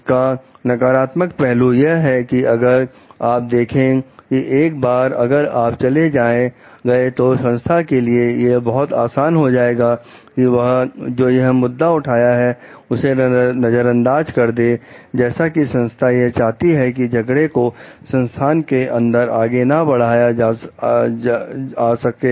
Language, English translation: Hindi, The negatives are like the if you see like once you are gone, it may be easier for the organization to ignore the issues raised, as others organizations may be unwilling to carry on the fight as others in the organization